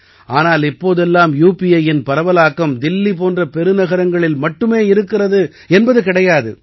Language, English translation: Tamil, But now it is not the case that this spread of UPI is limited only to big cities like Delhi